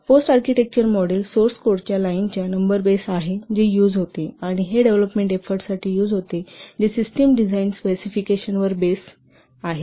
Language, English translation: Marathi, Post aritecture model is based on number of lines of source code which are used and this is used for development report which is based on system design specification